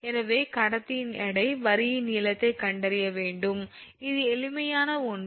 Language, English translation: Tamil, So, you have to find out a the weight of the conductor and the b, length of the line, this is simple one